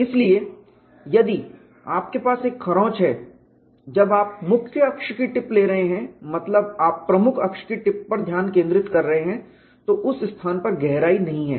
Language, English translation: Hindi, So, if you have a scratch, when you are having a the tip of the major axis; that is you are concentrating on tip of the major axis, there is no depth in that site